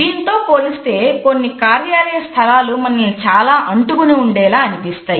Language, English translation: Telugu, In comparison to others we find that a different office space can also make us feel rather clingy